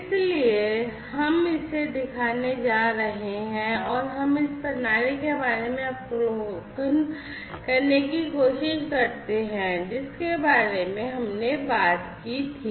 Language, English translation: Hindi, So, we are going to show this in action and let us try to first get an overview about this system that we talked about